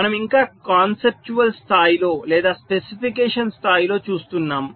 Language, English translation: Telugu, we are still looking at the conceptual level or at the specification level